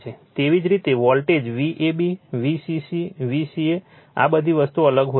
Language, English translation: Gujarati, Similarly, supply voltage your V ab V c c a right all these things may be different